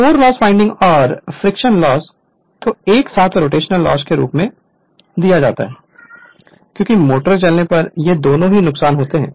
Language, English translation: Hindi, The core loss windage and friction loss together are lumped as rotational loss as both these losses occur when the motor is running right